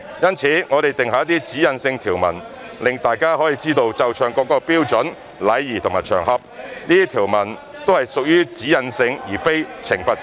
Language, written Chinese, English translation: Cantonese, 因此，我們定下一些指引性條文，讓大家知道奏唱國歌的標準、禮儀和場合，這些條文都是屬於"指引性"而非懲罰性。, Therefore we have drawn up some directional provisions to let everyone know the standard etiquette and occasions for the playing and singing of the national anthem . These provisions are directional rather than punitive